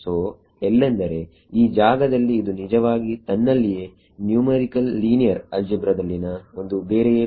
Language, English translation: Kannada, So, here is where this is actually this is in itself for separate course in numerical linear algebra